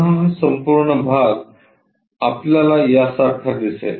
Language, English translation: Marathi, Again this entire part we will see it like this one